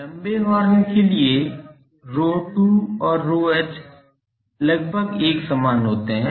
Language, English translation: Hindi, For long horns rho 2 and rho h this I am approximately saying same